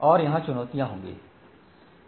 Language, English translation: Hindi, And there will be challenges there